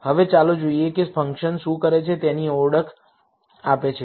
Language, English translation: Gujarati, Now, let us see what identify function does